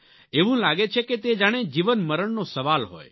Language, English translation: Gujarati, It seems to become a question of life and death